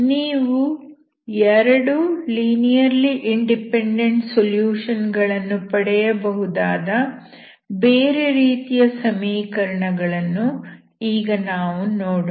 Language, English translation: Kannada, now we will see other kind of equations where you can get two linearly independent solutions